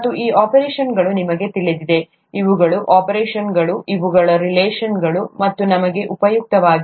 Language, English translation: Kannada, And these operations, you know, these are the operations, these are the relationships, they are useful to us